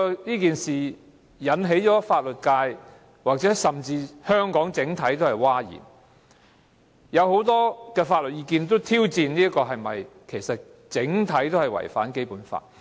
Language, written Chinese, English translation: Cantonese, 這建議引起法律界甚至香港整體社會譁然，有很多法律意見也提出挑戰，指此一做法其實整體違反了《基本法》。, This proposal has since led to huge outcries from the legal sector and even the community at large . It is also challenged by various legal opinions and criticized for contravening the letter and spirit of the Basic Law